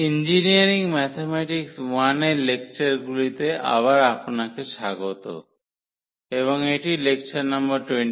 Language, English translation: Bengali, So, welcome back to the lectures on Engineering Mathematics – I, and this is lecture number 26